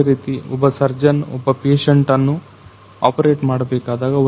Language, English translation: Kannada, Similarly, if a surgeon is going to operate on a particular patient